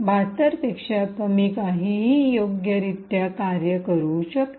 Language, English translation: Marathi, Anything less than 72 could work correctly